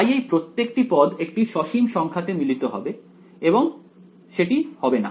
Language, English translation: Bengali, So, each of those terms should converge to a finite number and that will not happen right